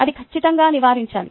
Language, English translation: Telugu, that should be definitely avoided